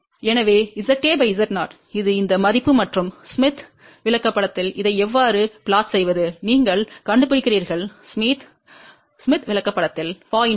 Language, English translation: Tamil, So, Z A by Z 0 which is this value and how do we plot this on the smith chart, you locate 0